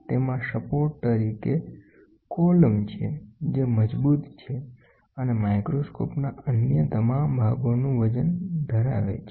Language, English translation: Gujarati, It features a vertical support column, which is robust and carries the weight of all other parts of the microscope